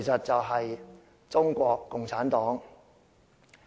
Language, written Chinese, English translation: Cantonese, 就是中國共產黨。, The answer is the Communist Party of China CPC